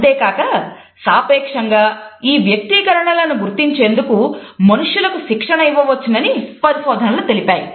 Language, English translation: Telugu, Research has also shown that people can be trained to identify these expressions relatively